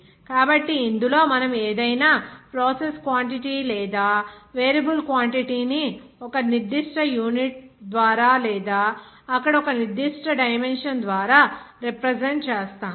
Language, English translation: Telugu, So In this, we represent any process quantity or variable quantity by a certain unit or by a certain dimension there